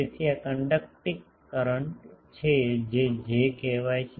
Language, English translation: Gujarati, So, this is generally the conducting current that generally call J